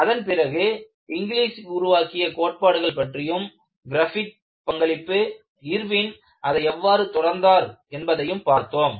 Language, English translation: Tamil, Then, we looked at historical development of what was the contribution of Inglis, what was the contribution of Griffith and how Irwin extended it